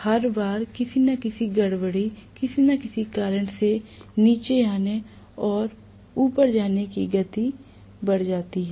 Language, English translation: Hindi, Every time there is going to be some disturbance, some speed coming down or going up due to some reason